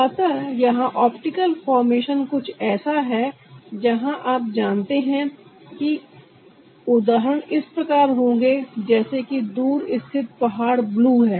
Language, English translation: Hindi, so here the optical formation is something where you know the examples would be like: the faraway mountain is blue, so you have a worm